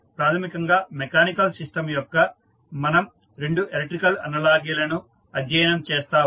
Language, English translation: Telugu, So, basically we will study 2 electrical analogies for mechanical systems